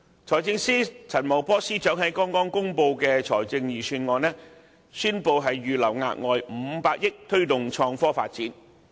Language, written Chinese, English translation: Cantonese, 財政司司長陳茂波在剛剛公布的財政預算案中，宣布會預留額外500億元推動創科發展。, Financial Secretary Paul CHAN announced in the Budget released recently that an additional 50 billion will be set aside for supporting IT development